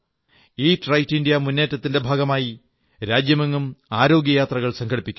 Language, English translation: Malayalam, Under the aegis of "Eat Right India" campaign, 'Swasth Bharat' trips are being carried out across the country